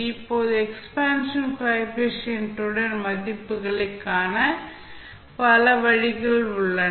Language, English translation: Tamil, Now, there are many ways through which you can find these values of expansion coefficients